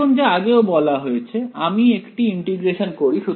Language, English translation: Bengali, And now as already been suggested I integrate right